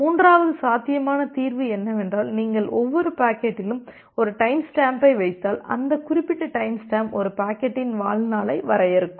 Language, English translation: Tamil, The third possible solution is you put a timestamp with each packet and that particular timestamp will define the lifetime of a packet